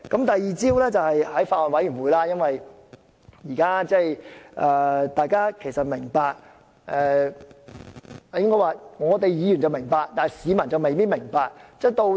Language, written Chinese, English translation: Cantonese, 第二招，就是在法案委員會......大家都明白，我應該說"議員會明白，但市民未必明白"。, For the second tactic in the Bills Committees as we all know I should have said it is known to Members but not necessarily members of the public